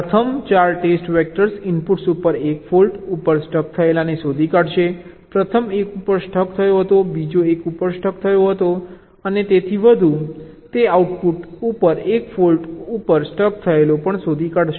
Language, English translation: Gujarati, the first four test vectors will be detecting these stuck at one faults on the inputs, the first one stuck at one, second one stuck at one, and so one